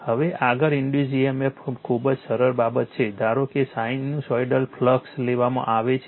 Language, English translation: Gujarati, Now, next is induced EMF very simple thing suppose you take flux is sinusoidal one